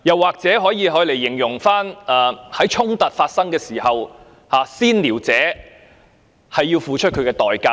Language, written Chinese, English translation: Cantonese, 此外，這也可以用來形容最近所發生的衝突，"先撩者"要付出代價。, Besides this can also apply to the latest clash for which the provoker has to pay the price